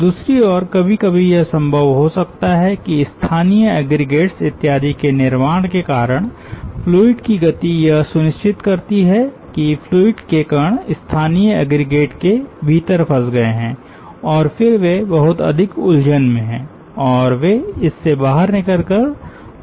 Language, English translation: Hindi, on the other hand, sometimes it may be possible that ah because of formation of local aggregates and so on, ah the movement of the fluid ensures that fluid element are entrapped within the local aggregates and then ah they are in great entanglement and they cannot come out of those entrapment and flow